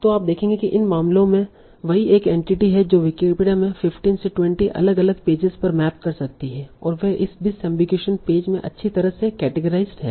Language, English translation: Hindi, So you will see in these cases is the same single entity can map to maybe 15, 20 different pages in Wikipedia and they are nicely categorized in this disambocation page